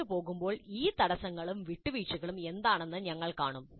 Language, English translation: Malayalam, We'll see what are these constraints and compromises as we move along